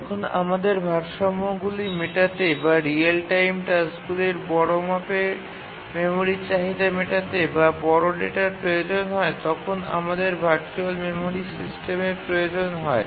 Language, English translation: Bengali, That is to meet the memory demands of heavy weight real time tasks which have large code or require large data, we need virtual memory system